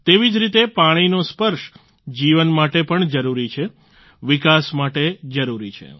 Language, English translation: Gujarati, Similarly, the touch of water is necessary for life; imperative for development